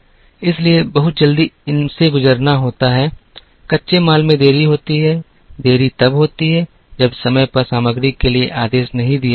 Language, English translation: Hindi, So, very quickly going through these, delays in raw materials, delays happen when orders are not placed for materials in time